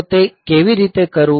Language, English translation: Gujarati, So, how to do that